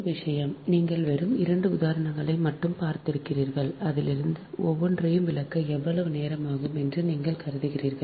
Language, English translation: Tamil, so one thing that, ah, you have seen just two examples and from that you assume that how much time it takes to explain that each and everything, right and ah